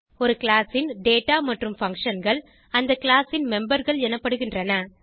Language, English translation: Tamil, The data and functions of the class are called as members of the class